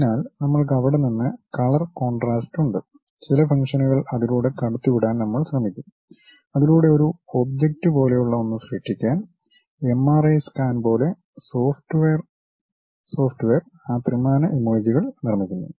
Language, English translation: Malayalam, So, we have color contrast from there we will try to impose certain functions pass curves surfaces through that to create something like an object for example, like MRI scan how the software really construct that 3D images